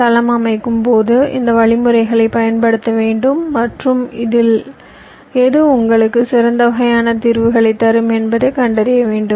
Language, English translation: Tamil, so during floorplanning you will have to exercise these options and find out which of this will give you the best kind of solutions